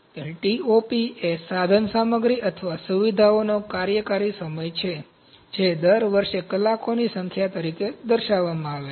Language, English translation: Gujarati, So, Top is the operational time of the equipment or facilities expressed as the number of hours per year